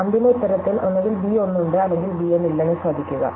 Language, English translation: Malayalam, Now, observe that in the final answer, either b 1 is there, or b 1 is not there